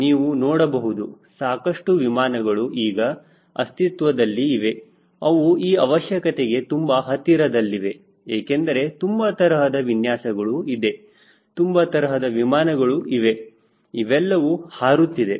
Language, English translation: Kannada, you will find some aircraft already in a is existing which is closer to what requirement we have, because lots of designs are available, lots of airplanes are available, they are flying